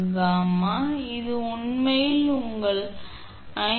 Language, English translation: Tamil, 72 degree, it comes actually your 5114